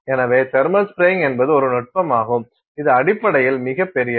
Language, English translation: Tamil, So, thermal spraying technique and it is a technique which basically is very large